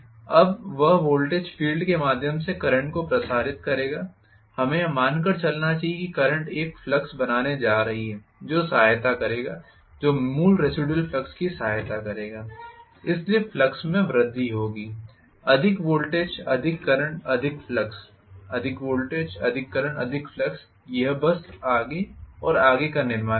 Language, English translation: Hindi, Now, that voltage will circulate the current through the field, let us assume that, that current is going to create a flux, which will aid, which will aid the original residual flux, so the flux will increase, more voltage, more current, more flux, more voltage, more current, more flux, it will simply build up further and further